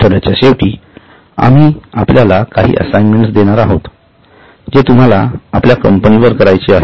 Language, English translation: Marathi, We will be giving you some assignments at the end of the week which you have to do on your company